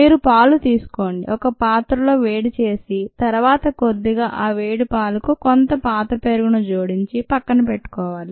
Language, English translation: Telugu, you take milk, you heat it to certain warmth in a vessel and then you add some old curd to this slightly warmish milk and set is set it aside